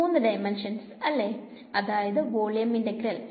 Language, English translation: Malayalam, In three dimensions; so volume integral